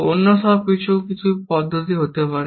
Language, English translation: Bengali, Everything else can be in some manner, essentially